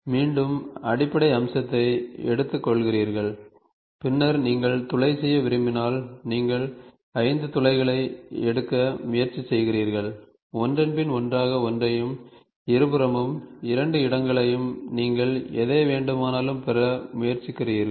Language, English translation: Tamil, So, you again take the base feature and then if you want to make hole, you try to take 5 holes, you put one after the other after the other and 2 slots on the both sides you try to get whatever you want